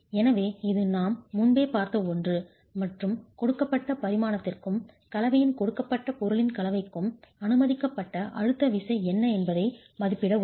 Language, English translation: Tamil, So, this is something we've seen earlier and will help us estimate what is the permissible compressive force for a given dimension and for a given combination of materials of the composite